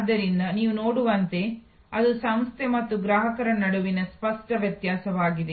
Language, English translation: Kannada, So, as you can see that is the clear distinction in this case between the organization and the customer